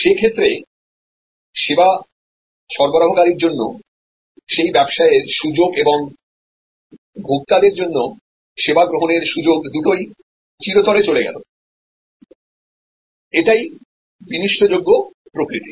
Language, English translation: Bengali, Then, that business opportunity for the service provider and the service consumption opportunity for the consumer gone forever, this is the perishable nature